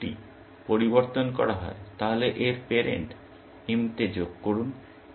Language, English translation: Bengali, If the node is changed, add its parent to m